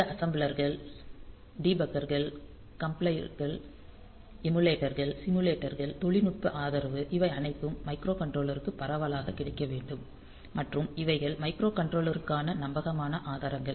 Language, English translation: Tamil, So, these assemblers debuggers compilers emulators simulator technical supports all these should be available for the microcontroller that we take wide availability it should be widely available and this reliable sources for the microcontroller